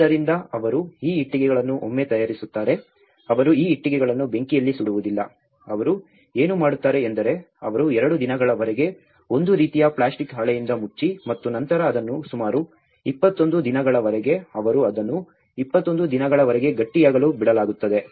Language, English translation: Kannada, So, what they do is once they prepare these bricks, they do not fire these bricks, what they do is they cover with a kind of plastic sheet for two days and then they leave it for about, they cure it for 21 days in the hot sun and then they directly use it to the building material